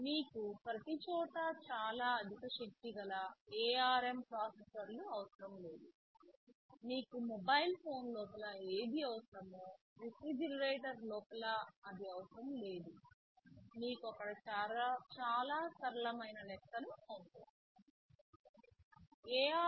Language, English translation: Telugu, YSo, you do not need very high power ARM processors everywhere, whatever you need inside a mobile phone you will not need possibly inside a refrigerator, you need very simple kind of calculations there right